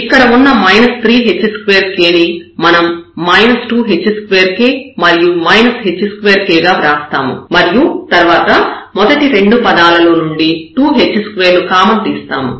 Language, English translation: Telugu, So, minus 3 h square k, we have written this minus 2 h square k and minus h square k and then we take common from the first 2 terms the 2 h square